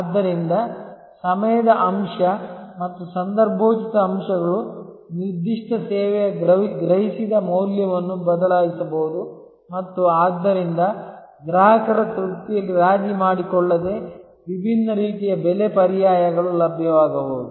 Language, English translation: Kannada, So, the time factor and the contextual factors can change the perceived value of a particular service and therefore, different sort of pricing alternatives can become available without compromising on customer satisfaction